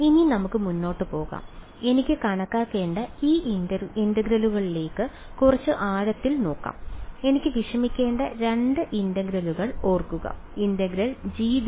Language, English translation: Malayalam, Now, let us go ahead let us look let us take a little deeper look at these integrals that I have to calculate, remember the 2 integrals I had to worry about was g dl and grad g dot n hat yeah